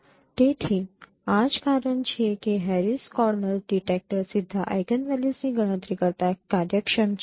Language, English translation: Gujarati, So this is a reason why Harris Conner detection detector is efficient then computing directly the eigenvalues